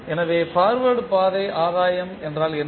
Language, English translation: Tamil, So, what is Forward Path Gain